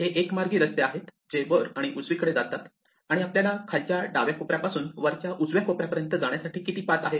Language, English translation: Marathi, These are one way roads which goes up and right, and what we want to ask is how many ways there are to go from the bottom left corner to the top right corner